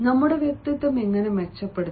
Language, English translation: Malayalam, how can we improve our personality